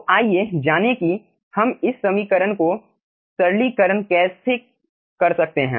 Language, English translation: Hindi, so let us find out how we can simplify these equations